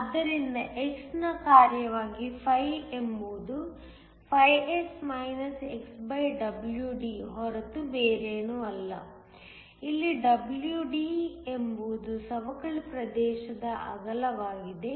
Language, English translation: Kannada, So, φ as the function of x is nothing but S xWD, where WD is the width of the depletion region